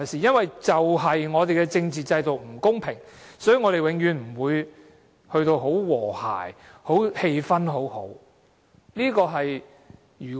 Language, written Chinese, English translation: Cantonese, 正正因為我們的政治制度不公平，我們才永遠不會很和諧，氣氛不會很良好。, The unfair political system makes it impossible to establish harmony among us or build up a pleasant atmosphere